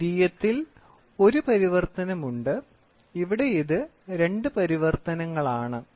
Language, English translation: Malayalam, Secondary is one translation, here it is two translations